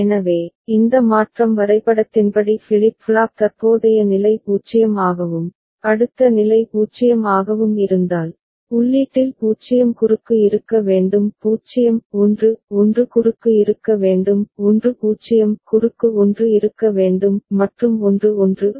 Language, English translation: Tamil, So, if the flip flop current state is 0 and next state is also 0 as per this transition diagram, then at the input what should be present 0 cross; 0 1 1 cross should be present; 1 0 cross 1 should be present; and 1 1 cross 0 should be present